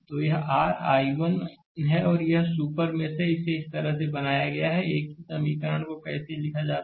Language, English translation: Hindi, So, this is your i 1 and this is super mesh is created this way same equation I showed you how to write